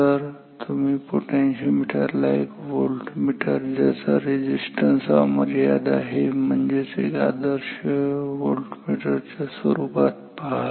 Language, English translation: Marathi, So, for now you can think of potentiometer as a voltmeter with infinite resistance it is equivalent to an ideal voltmeter with infinite resistance